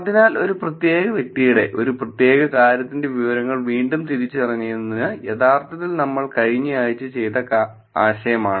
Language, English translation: Malayalam, So, re identification of information of a particular individual, of a particular thing is actually the concept that we discussed last week